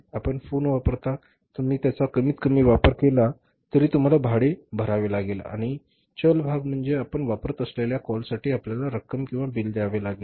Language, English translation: Marathi, You use the phone you don't use the phone you have to pay the minimum rent and the variable part is the calls which you make use of and you have to pay the amount or the bill for that also